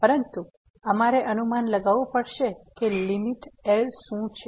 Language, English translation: Gujarati, But we have to guess that what is the limit